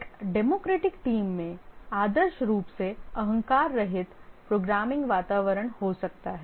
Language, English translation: Hindi, In a democratic team, ideally there can be a egoless programming environment